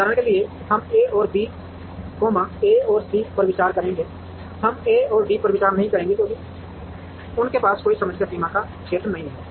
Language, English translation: Hindi, For example, we will consider A and B, A and C we will not consider A and D because they do not have any common boundary or area